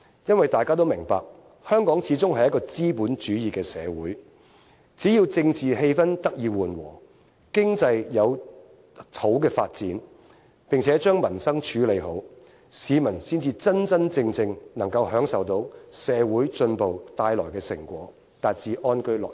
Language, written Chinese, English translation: Cantonese, 因為大家都明白，香港始終是一個資本主義的社會，只要政治氣氛得以緩和，經濟有好的發展，並且將民生處理好，市民才真真正正能夠享受到社會進步帶來的成果，達至安居樂業。, It is because everyone knows that Hong Kong is after all a capitalists economy . The people can truly benefit from social advancement and lead a good life only if there are a relaxed political atmosphere robust economic development and a solution for improving the peoples livelihood